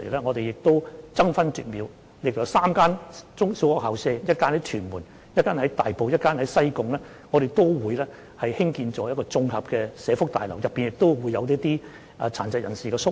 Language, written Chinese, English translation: Cantonese, 我們會爭分奪秒，利用分別位於屯門、大埔及西貢3間中小學的空置校舍，興建綜合社福大樓，提供一些殘疾人士宿位。, We will waste no time to make use of the idle campuses of three primary and secondary schools in Tuen Mun Tai Po and Sai Kung to construct integrated welfare buildings which will provide some residential places for persons with disabilities